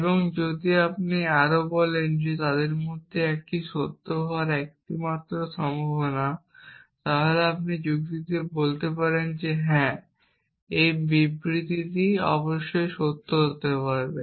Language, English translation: Bengali, And if you further say that this is the only possibility that one of them is true then you can argue that yes this statement must be true essentially